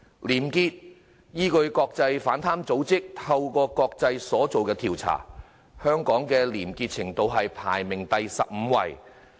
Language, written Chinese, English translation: Cantonese, 廉潔方面，依據國際反貪組織"透明國際"所作的調查，香港的廉潔程度排名第十五位。, When it comes to probity according to a survey conducted by Transparency International an international anti - corruption organization Hong Kong was ranked the 15 least corrupt place